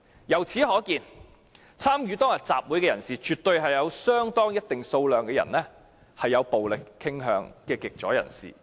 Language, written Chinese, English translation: Cantonese, 由此可見，參與當天集會的人士當中，有一定數量是有暴力傾向的極左人士。, It can thus be seen that a certain number of people among the participants of the rally that day are extreme leftists who are prone to violence